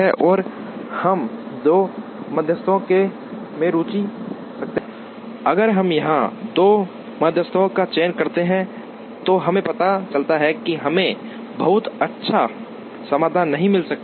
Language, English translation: Hindi, And we are interested in two medians, if we choose the two medians here then we realize that, we may not get a very good solution